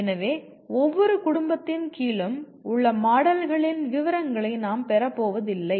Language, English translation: Tamil, So we are not going to get into the details of the models under each family